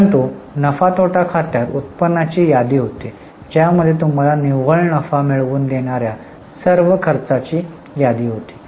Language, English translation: Marathi, But in P&L account there was a list of incomes lessed all the expenses giving you net profit